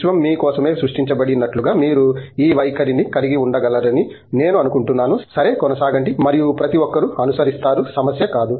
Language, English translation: Telugu, I think you can have this attitude like the universe was created for your sake okay, just go on and everybody will follow, not a problem